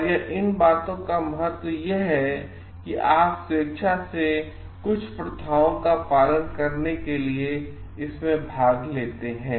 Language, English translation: Hindi, And the importance of these things and voluntarily participate in it by following certain practices